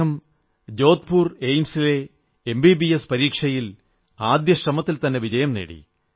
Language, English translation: Malayalam, In his maiden attempt, he cracked the Entrance exam for MBBS at AIIMS, Jodhpur